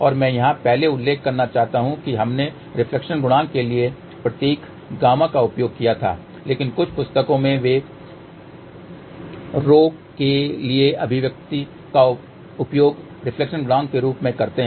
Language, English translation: Hindi, And I just want to mention here earlier we had used the symbol gamma for reflection coefficient, but in some books they use the expression for rho as a reflection coefficient